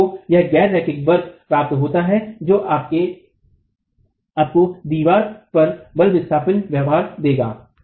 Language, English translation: Hindi, So you get this non linear curve which will then determine, which will then give you the force displacement behavior in the wall itself